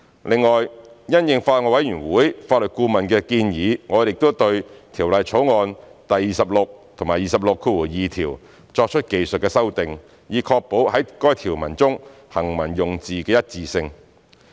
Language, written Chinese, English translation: Cantonese, 另外，因應法案委員會法律顧問的建議，我們亦對《條例草案》第26及262條作出技術修訂，以確保在該條文中行文用字的一致性。, Besides in view of the recommendations of Bills Committees Legal Adviser technical amendments have also been made to clauses 26 and 262 of the Bill for consistency of wording